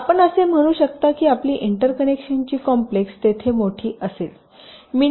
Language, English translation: Marathi, so you can say that your interconnection complexity will be larger there